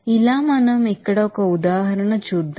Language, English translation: Telugu, Like this let us do an example here